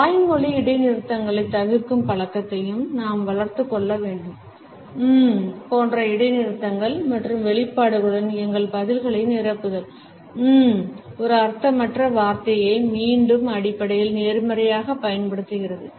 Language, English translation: Tamil, We should also develop the habit of avoiding verbal pauses; filling our answers with pauses and expressions like ‘um’, ‘uh’s using a meaningless word repeatedly basically, positively, surely